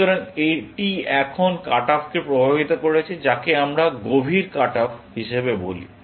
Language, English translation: Bengali, So, this now induced the cut off, what we call as a deep cut off